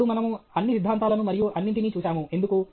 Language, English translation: Telugu, Now, that we have seen all the theories and all that – why